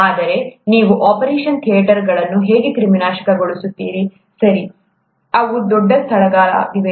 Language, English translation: Kannada, But how do you sterilize operation theatres, okay, which are huge spaces